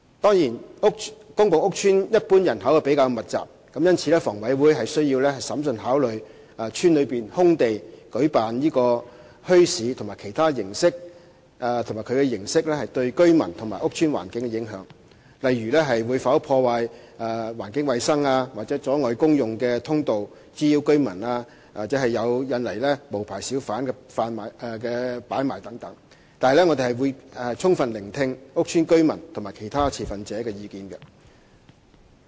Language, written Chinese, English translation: Cantonese, 當然，公共屋邨一般人口比較密集，故此，房委會須審慎考慮在屋邨內空地舉辦墟市及其形式對居民和屋邨環境的影響，例如會否破壞環境衞生、阻礙公用通道、滋擾居民或引來無牌小販擺賣等，但我們會充分聆聽屋邨居民及其他持份者的意見。, Centainly housing estates are in general densely - populated . This explains why HA must give prudent consideration to the impacts of setting up bazaars in the open space in housing estates and the approach on their residents and the environment such as whether or not environmental hygiene will be compromised public access will be blocked residents will be disturbed unlicensed hawkers will be lured and so on . Nonetheless we will listen to the views expressed by housing estate residents and other stakeholders fully